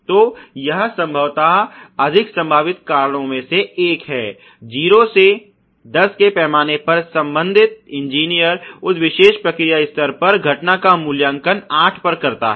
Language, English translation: Hindi, So, that is probably one of the more potential reasons, and you know 0 to 10 scale the concerned engineer at that particular process level is rated the occurrence to be at 8